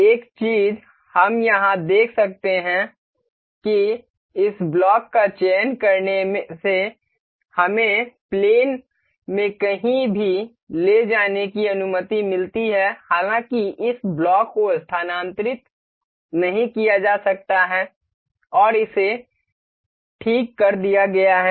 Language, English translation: Hindi, One thing we can check here that selecting this block allows us to move this anywhere in the plane; however, this block cannot be moved and it is fixed